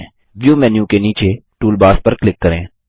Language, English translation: Hindi, Under the View menu, click Toolbars